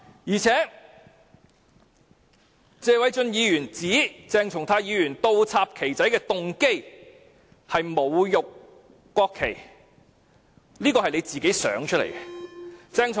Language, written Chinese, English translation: Cantonese, 再者，謝偉俊議員指鄭松泰議員倒插"旗仔"的動機是侮辱國旗，這全是他的臆測。, Moreover Mr Paul TSE said that Dr CHENG Chung - tais motive of inverting the little flags was to insult the national flag yet it is merely his conjecture